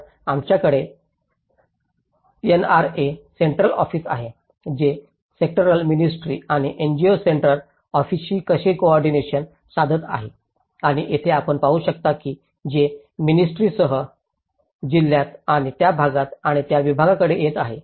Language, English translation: Marathi, So, whereas, we have the NRA Central Office, how it is coordinating with the sectoral ministry and the NGO Central Office and here, you can see that this is coming with the ministry to the department to the district and to the area and to the community